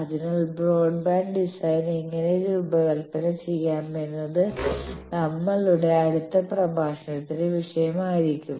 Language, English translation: Malayalam, So, that how to design broadband design that will be topic of our next talk